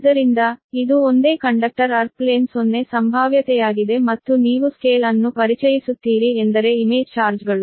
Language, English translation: Kannada, so this is a single conductor, earth plane, zero potential here, and you will use that, introduce scale means, what you call that image charges